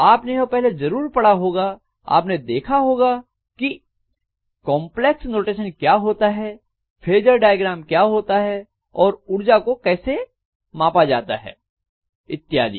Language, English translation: Hindi, You must have studied this already you must have seen what is complex notation, what is phasor diagram, and how the power is measured and so on